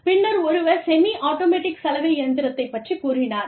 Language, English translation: Tamil, And then, somebody said, maybe, we can have a semiautomatic washing machine